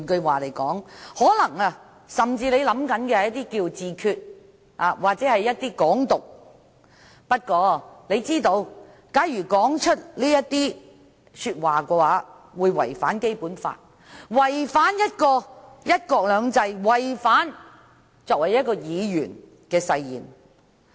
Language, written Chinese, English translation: Cantonese, 換言之，他甚至可能想自決或"港獨"，但他知道假如說出這些話會違反《基本法》，違反"一國兩制"，違反作為一個議員的誓言。, In other words perhaps he even wants self - determination or Hong Kong independence but he understands that if he makes such remarks he will breach the Basic Law contravene the principle of one country two systems and break the promises which he has made as a Member of the Legislative Council